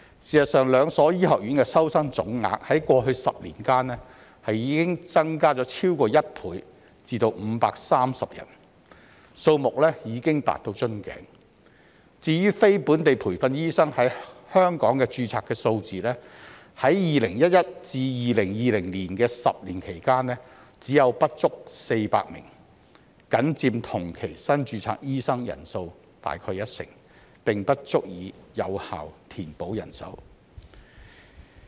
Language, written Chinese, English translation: Cantonese, 事實上，兩所醫學院的收生總額，在過去10年間已增加超過1倍至530人，數目已達瓶頸；至於非本地培訓醫生在港註冊的數字，在2011年至2020年的10年間，只有不足400名，僅佔同期新註冊醫生人數約一成，並不足以有效填補人手。, In fact the total intake of the two medical schools has more than doubled to 530 in the past 10 years and the number has reached a bottleneck; as for the number of non - locally trained doctors NLTDs registered in Hong Kong there were only fewer than 400 in the decade from 2011 to 2020 accounting for only about 10 % of the number of newly registered doctors in the same period which was not enough to effectively fill the manpower gap